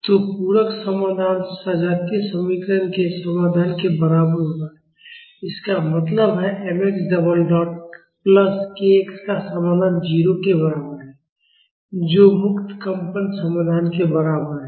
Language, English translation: Hindi, So, the complementary solution, will be equal to the solution of the homogeneous equation; that means, the solution of m x double dot plus k x is equal to 0 that is equivalent to the free vibration solution